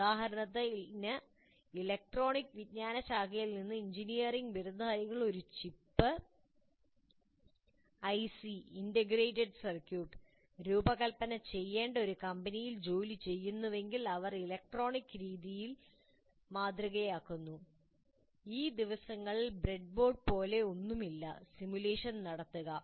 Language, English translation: Malayalam, For example, if engineering graduates from electronics discipline works in a company that is supposed to design a chip, an IC integrated circuit, then the main tool they have is they model electronically